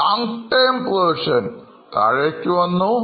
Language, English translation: Malayalam, Long term provisions have gone down